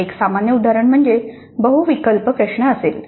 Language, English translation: Marathi, A typical example would be a multiple choice question